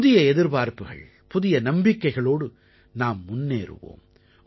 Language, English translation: Tamil, With new hopes and faith, we will move forward